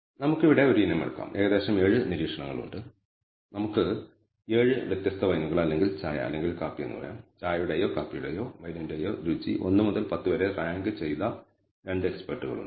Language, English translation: Malayalam, We can take a item here there are about 7 observations let us say 7 different wines or tea or coffee and there are two experts who ranked the taste of the tea or coffee or wine on a scale between 1 to 10